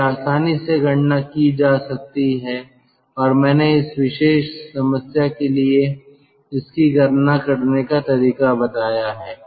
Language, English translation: Hindi, so this can be calculated readily and i have shown how to calculate it for this particular problem